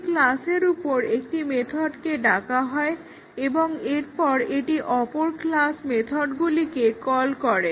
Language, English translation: Bengali, A method is called on one class and then it needs to call other class methods